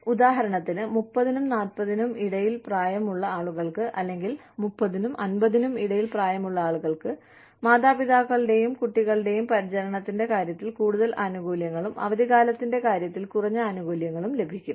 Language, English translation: Malayalam, So, you will say, people between the age of, say, 30 to 40, or, 30 to 50, will get more benefits, in terms of, parent and child care, and less benefits, in terms of vacation